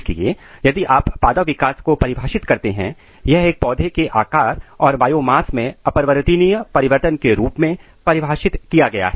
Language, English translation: Hindi, So, if you define plant growth, it is defined as irreversible change in the size and biomass of a plant